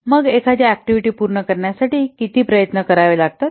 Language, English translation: Marathi, Then how much effort is required to complete an activity